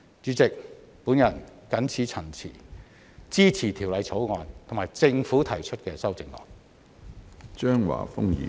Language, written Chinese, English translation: Cantonese, 主席，我謹此陳辭，支持《條例草案》及政府提出的修正案。, With these remarks President I support the Bill and the amendments proposed by the Government